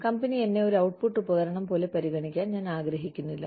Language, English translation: Malayalam, You know, I do not want the company, to treat me like an output device